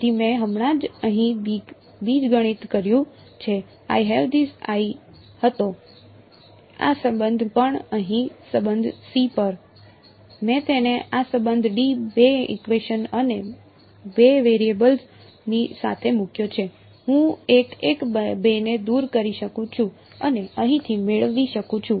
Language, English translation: Gujarati, So, I have just done the algebra over here using the I had these I had this relation also over here relation c, I put it together with this relation d two equations and two variables I can eliminate a one a two and get it from here in terms of what is given right